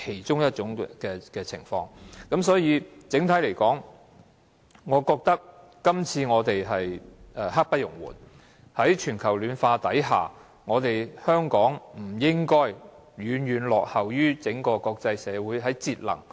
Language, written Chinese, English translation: Cantonese, 整體而言，我認為我們今次的工作刻不容緩，在全球暖化下，香港在節能方面不應該遠遠落後於國際社會。, On the whole I think the work of this exercise should brook no delay . In the face of global warming Hong Kong should not lag far behind other countries in respect of energy saving